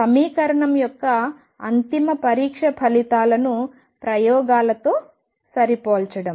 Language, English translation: Telugu, The ultimate test for the equation is matching of results with experiments